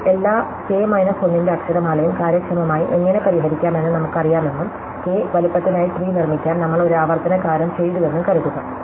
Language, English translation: Malayalam, Now, let us assume that, we know how to solve all k minus 1 size alphabets efficiently and we have done this recursive thing to construct the tree for size k